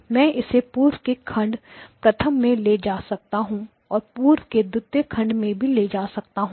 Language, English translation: Hindi, I can move it past the first block; I can move it past the second block